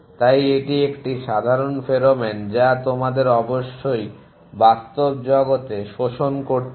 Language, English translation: Bengali, Hence it is a common pheromone you must have absorb in the real world essentially